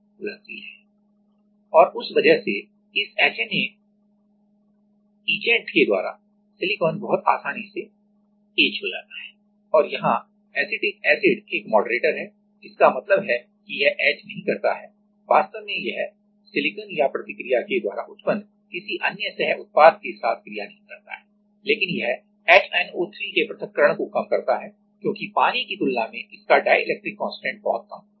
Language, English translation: Hindi, And because of that silicon gets etched very easily with this HNA etchant and here the acetic acid is a moderator; that means, that it does not etch or does not react actually with silicon or even any by product of the reaction, but it reduces the dissociation of HNO3 because it has a very less dielectric constant then water